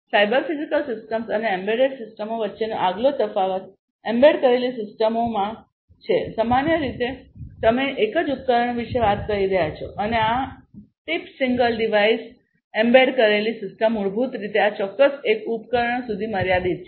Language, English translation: Gujarati, The next difference between cyber physical systems and embedded systems is in an embedded system, typically, you are talking about a single device and this tip the single device the embedded system is basically confined to this particular single device